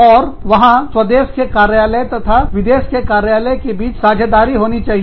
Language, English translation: Hindi, And, the alliance between, the home country office, and the foreign country office, has to be there